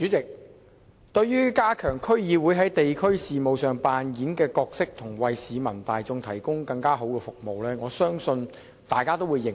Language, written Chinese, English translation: Cantonese, 代理主席，對於加強區議會在地區事務上擔當的角色及為市民提供更好的服務，我相信大家都會認同。, Deputy President on this question of enhancing the role of District Councils DCs in district affairs to serve the public better I am sure we all will agree to this view